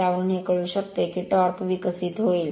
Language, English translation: Marathi, From that you can find out that torque will be developed right